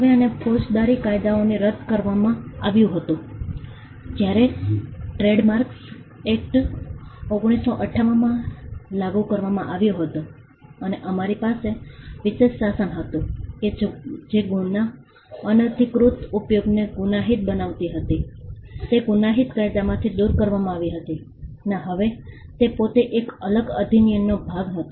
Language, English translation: Gujarati, Now, this was repealed from the criminal laws; when the Trademarks Act, 1958 was enacted and we had a special regime the provision which criminalized unauthorized use of marks was removed from the criminal statutes and it was now a part of a separate act in itself